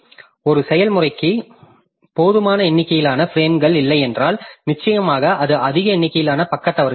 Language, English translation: Tamil, So, if a process does not have sufficient number of frames then definitely it will generate large number of page faults